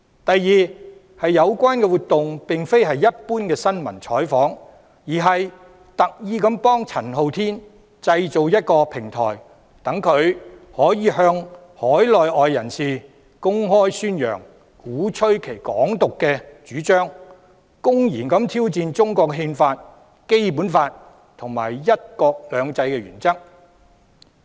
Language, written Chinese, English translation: Cantonese, 第二，有關活動並非一般新聞採訪，而是特意製造一個平台，幫助陳浩天向海內外人士公開宣揚及鼓吹"港獨"主張，公然挑戰中國《憲法》、《基本法》及"一國兩制"的原則。, Second the activity in question is not a general news interview but a platform deliberately created to help Andy CHAN publicly promote and advocate Hong Kong independence to local and overseas people and openly challenge the principles of the Constitution of China the Basic Law and one country two systems